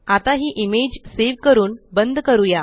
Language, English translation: Marathi, Now, lets save and close the image